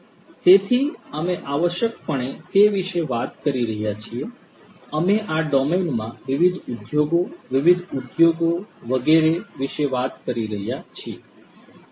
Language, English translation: Gujarati, So, we are essentially talking about what; we are talking about different industries right, different industries etc